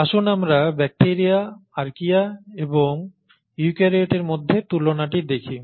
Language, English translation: Bengali, So let us look at the comparison against bacteria, Archaea and eukaryotes